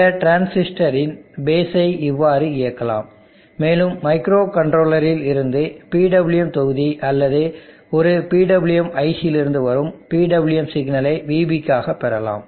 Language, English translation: Tamil, And I will drive the base of that transistor in this fashion and I will get the PWM signal to VB from the PWM block coming from a micro control are PWM IC